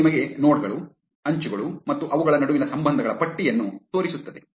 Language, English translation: Kannada, This will show you the list of the nodes, edges and the relationships between them